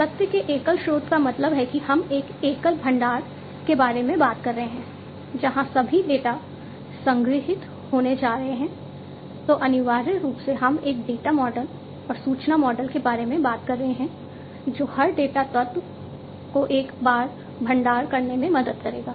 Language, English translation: Hindi, Single source of truth means we are talking about a single repository, where all the data are going to be stored